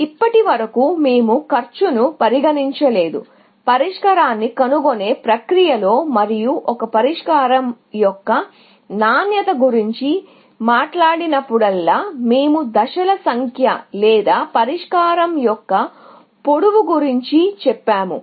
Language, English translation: Telugu, So far, we have not had a notion of cost, in the solution finding process and whenever, we spoke about quality of a solution, we said the number of steps or the length of the solution